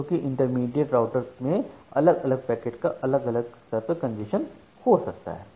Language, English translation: Hindi, Because different packets may experience different level of congestion at the intermediate routers